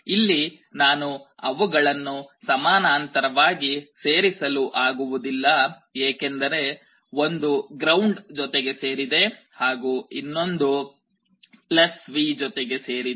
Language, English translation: Kannada, See here I cannot combine them in parallel because one of them is connected to ground other is connected to +V